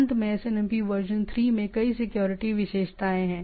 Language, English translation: Hindi, Finally, SNMP version 3 has numerous security features